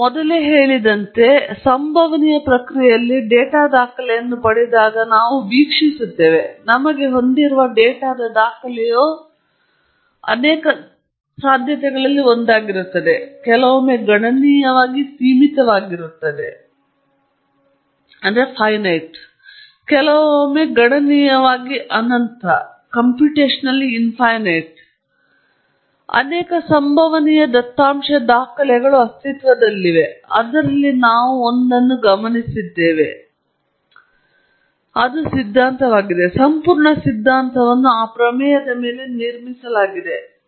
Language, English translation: Kannada, We know that in stochastic process, as we just mentioned earlier, we observe when we get a data record, the record of data that we have is one of the many, many possibilities sometime countably finite, sometimes countably infinite or infinite many possible data records exist, out of which we have observed one; that is the theory, the entire theory is built on that premise